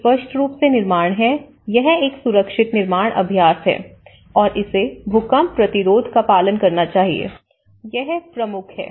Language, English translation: Hindi, One is building obviously, it is a safer building practice and it has to adhere with the earthquake resistance, this is one of the prime